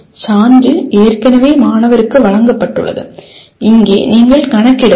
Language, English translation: Tamil, Proof is already given to the student and here you are not calculating